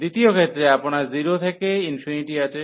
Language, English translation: Bengali, In the second case, you have 0 to infinity